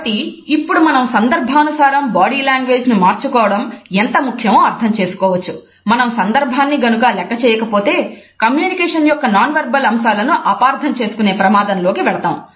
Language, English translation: Telugu, So, now we can see that contextualizing body language is important, if you overlook the context we run into the danger of miss ratings and nonverbal aspects of communication